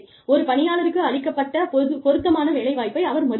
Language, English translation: Tamil, An employee, who refuses an offer of suitable work